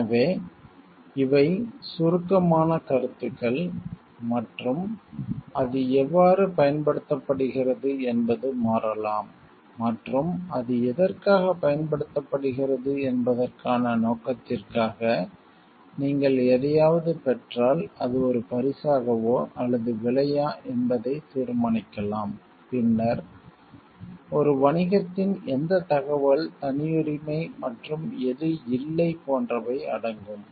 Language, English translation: Tamil, So, these are abstract concepts and how it gets a applied may change and for the purpose for what it is getting applied may determine, whether if you get something whether it is a gift or it is a bribe, then which information of a business is proprietary and which is not